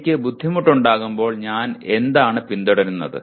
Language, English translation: Malayalam, When I am having difficulty what is it that I follow